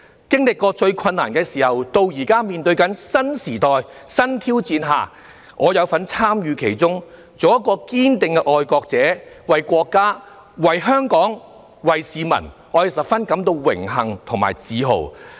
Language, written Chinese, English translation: Cantonese, 經歷過最困難的時候，直至現時面對新時代、新挑戰，我有份參與其中，做一位堅定的愛國者，為國家、為香港、為市民，我感到十分榮幸和自豪。, I feel honoured and proud that I have weathered the worst period and that I have the opportunity to be in this new era facing new challenges and to serve the country Hong Kong and the people as a staunch patriot